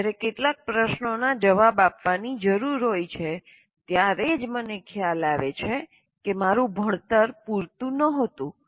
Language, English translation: Gujarati, And then I only realize when some questions need to be answered my learning was not adequate